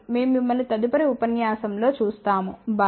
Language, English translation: Telugu, We will see you next time, bye